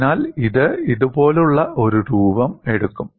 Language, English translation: Malayalam, So, this will take a shape like this